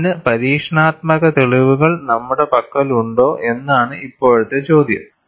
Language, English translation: Malayalam, Now, the question is, do we have an experimental evidence for this